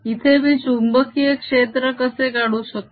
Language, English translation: Marathi, how do i calculate the magnetic field here